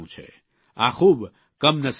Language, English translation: Gujarati, This is very unfortunate